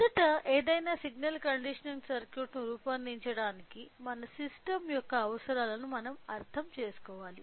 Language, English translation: Telugu, So, in order to design any signal conditioning circuit first we should understand the requirements of our system